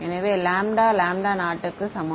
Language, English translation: Tamil, So, lambda is equal to lambda naught by